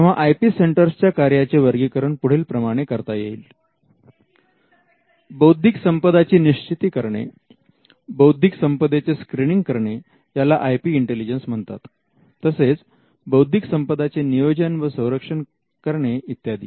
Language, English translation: Marathi, So, the functions of the IP centre will just broadly classify them as identifying IP, screening IP what we call IP intelligence, protecting IP and maintaining IP